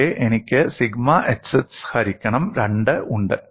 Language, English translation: Malayalam, Here I have sigma xx by 2